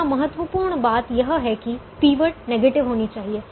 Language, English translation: Hindi, the important thing here, off course, is the pivot has to be negative